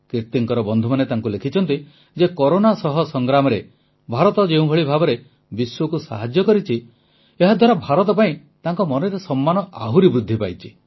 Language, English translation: Odia, Kirti ji's friends have written to her that the way India has helped the world in the fight against Corona has enhanced the respect for India in their hearts